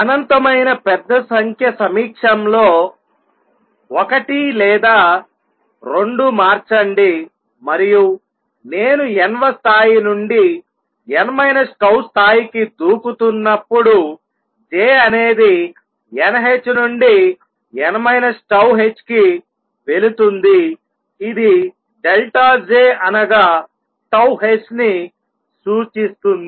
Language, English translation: Telugu, Change one or two in presence of an infinitely large number is very small, and when I making a jump from n th level to n minus tau level, my J goes from n h to n minus tau h which implies that delta J is tau h